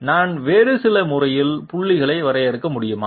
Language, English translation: Tamil, Can I define points in some other manner